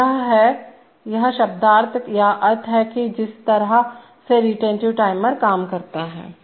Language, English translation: Hindi, So this is the, this is the semantics or meaning of the way the retentive timer works